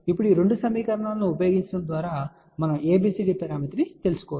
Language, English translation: Telugu, Now, by using these 2 equations we can find out the ABCD parameter